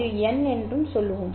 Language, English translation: Tamil, For example, n is equal to 0